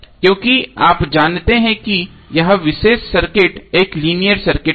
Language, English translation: Hindi, Because you know that this particular circuit is a linear circuit